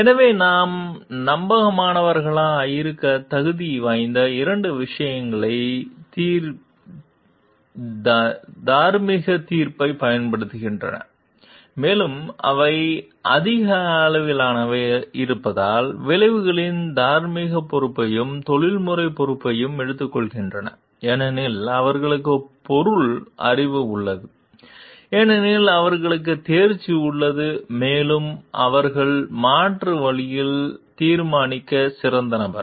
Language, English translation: Tamil, So, two things that qualify them to be trustworthy are exercising are exercising moral judgment and taking moral responsibility and professional responsibility of the outcomes because they are more knowledgeable; because they have the subject knowledge; because they have the competency and they are the best person to decide amongst the alternatives present